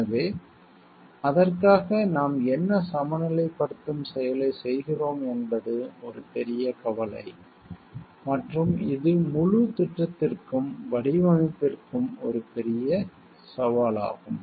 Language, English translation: Tamil, So, what balancing act we are doing for it is a major concern and it is a major challenge of the whole project and the design